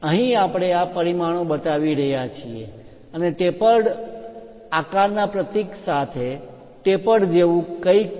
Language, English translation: Gujarati, Here we are showing these dimensions and also something like a tapered one with a symbol of tapered shape